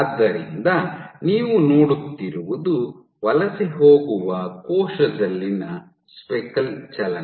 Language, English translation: Kannada, So, what you are looking at is speckle movement in a migrating cell